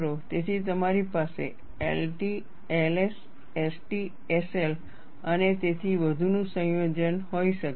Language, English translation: Gujarati, So, you could have a combination of L T, L S, S T, S L and so on